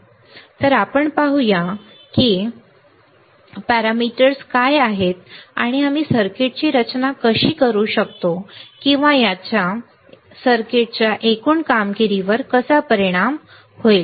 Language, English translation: Marathi, So, let us see how what are the parameters and how we can design the circuit or how this will affect the overall performance of the circuit